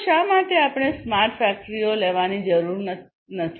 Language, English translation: Gujarati, So, why at all we need to have smart factories